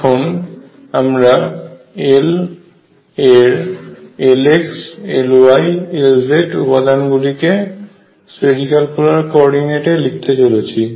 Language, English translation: Bengali, Let us now write the components of L L x, L y and L z using spherical polar coordinates